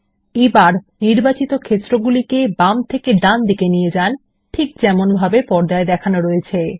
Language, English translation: Bengali, And we will move selected fields from the available list to the right side as shown on the screen